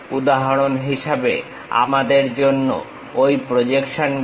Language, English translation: Bengali, For example, for us draw those projections